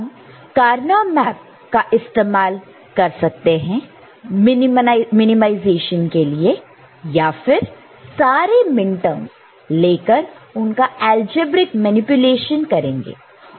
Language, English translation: Hindi, So, we can use Karnaugh map for minimization or we can take the minterms and then we do algebraic manipulation